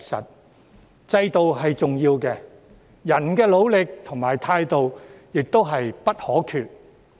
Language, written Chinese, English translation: Cantonese, 雖然制度是重要的，人的努力和態度亦不可或缺。, While the system is important hard work and attitude are equally essential